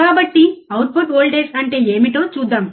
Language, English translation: Telugu, So, what is output voltage let us see